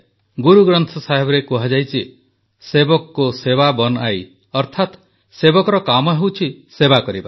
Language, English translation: Odia, It is mentioned in Guru Granth Sahib "sevak ko seva bun aayee", that is the work of a sevak, a servant is to serve